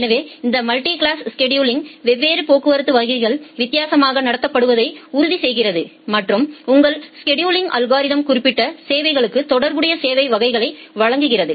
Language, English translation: Tamil, So, this multi class scheduling ensures that different traffic classes are treated differently and you provide the specific services by your scheduling algorithm to the corresponding service class